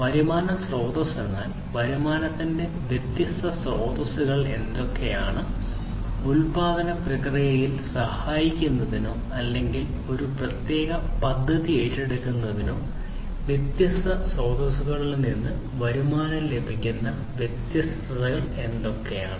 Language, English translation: Malayalam, Revenue stream; revenue stream means like what are the different sources of the revenues that are coming in, what are the different sources that from different sources the revenue can come for helping in the manufacturing process or you know undertaking a particular project